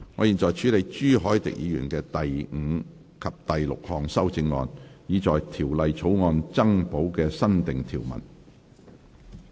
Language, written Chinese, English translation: Cantonese, 現在處理朱凱廸議員的第五及六項修正案，以在條例草案增補新訂條文。, The committee now deals with Mr CHU Hoi - dicks fifth and sixth amendments to add the new clause to the Bill